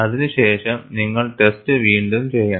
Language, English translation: Malayalam, Otherwise you have to reject the test, and redo the test